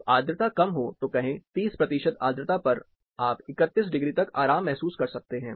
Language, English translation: Hindi, When the humidity’s are lower, say 30 percent humidity, you can be comfortable up to 31 degrees